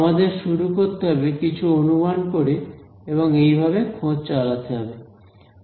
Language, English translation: Bengali, We will start with some guess and keep it finding the guess